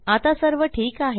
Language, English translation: Marathi, Now everything is right